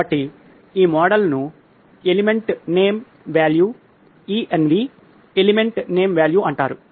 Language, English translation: Telugu, So, this model is called Element Name Value – ENV, Element Name Value